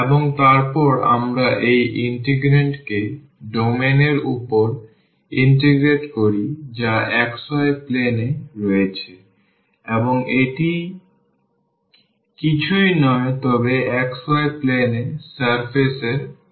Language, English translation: Bengali, And then we integrate this integrand over the domain which is in the xy plane and this is nothing, but the projection of the of the surface in the xy plane